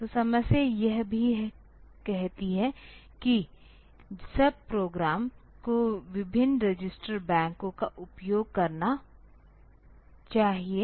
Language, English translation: Hindi, So, the problem also says that if should the sub programs should use different register banks